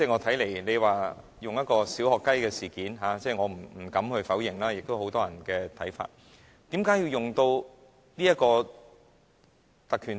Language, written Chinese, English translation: Cantonese, 他以"小學雞"來形容此事，我不敢否認，這也是很多人的看法，但為何要引用《議事規則》？, I dare not deny it . It is also the view of many people . But why does he need to invoke the Rules of Procedure RoP?